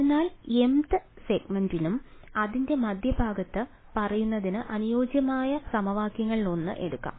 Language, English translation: Malayalam, So, let us take one of those equations that corresponded to let us say the mth segment and the midpoint of it right